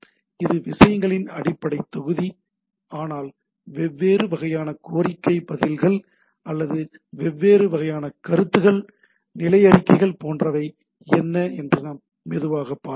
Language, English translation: Tamil, So, this is the basic block of the things but it what are the different type of request, responses or what are the different type of comments, status reports etcetera, that we will see slowly